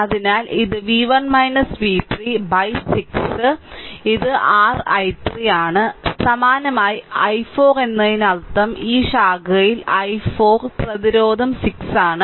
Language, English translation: Malayalam, So, it is v 1 minus v 3 by 6 this is your i 3 similarly for i 4 I mean here in this branch i 4 the resistance is 6